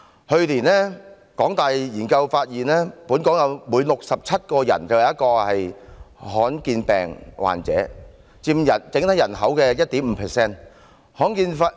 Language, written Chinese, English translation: Cantonese, 去年，香港大學的研究發現，本港每67人便有1人是罕見病患者，佔整體人口的 1.5%。, Last year a study conducted by the Hong Kong University found that one in every 67 people in Hong Kong suffers from a rare disease accounting for 1.5 % of the total population